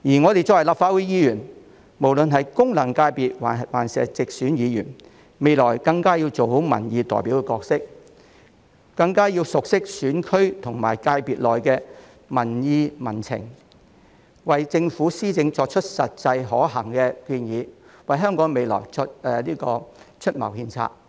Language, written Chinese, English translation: Cantonese, 身為立法會議員，不論是功能界別還是直選議員，我們未來更要做好民意代表的角色，熟悉選區或界別內的民情民意，為政府施政提出實際可行的建議，為香港未來出謀獻策。, As Members of the Legislative Council whether returned by functional constituencies or returned through direct elections we have to play better roles in representing the public in the future with a good understanding of the sentiments and opinions of our constituencies so as to put forward practical proposals on the Governments governance and provide advice on the future of Hong Kong